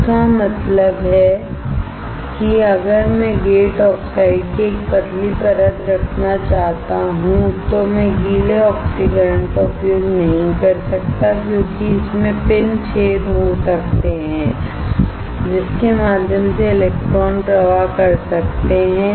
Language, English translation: Hindi, That means, if I want to have a thin layer of gate oxide, then I cannot use wet oxidation because it may have the pin holes through which the electron can flow